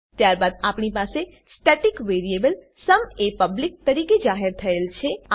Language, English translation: Gujarati, Then we have a static variable sum declared as public